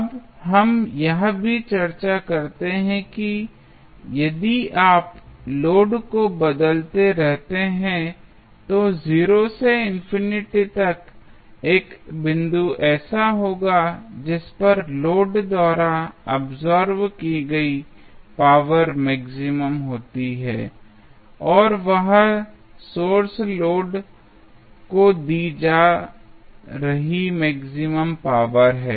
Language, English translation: Hindi, Now, we also discuss that, if you keep on changing the load, from 0 to infinity, there would be 1 condition at which your power being absorbed by the load is maximum and that is the power being given to the load by the sources is maximum